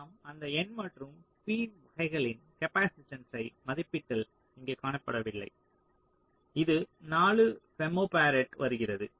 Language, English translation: Tamil, so if you similarly estimate the capacitance of those of those n and p type, this comes to, of course, here it is not shown it comes to four, femto farad